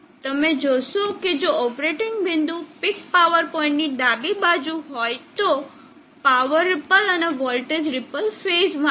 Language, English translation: Gujarati, So you see that if the operating point is on the left side of the peak power point, the power ripple and the voltage ripple are in phase